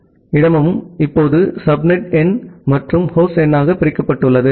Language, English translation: Tamil, So, this entire host number space is now divided into subnet number and the host number